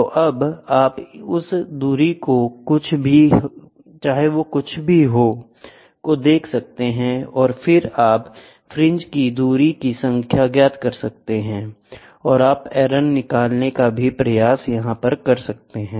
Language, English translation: Hindi, So now, you can see that distance whatever it is and then you can the number of fringes distance what you measure, you can try to find out what is the error